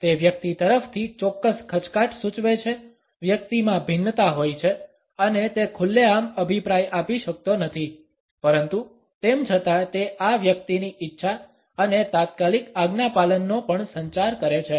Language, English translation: Gujarati, It indicates a certain hesitation on the part of the person, the person has diffidence and cannot openly wise an opinion, but nonetheless it also communicates a willing and immediate obedience on the part of this person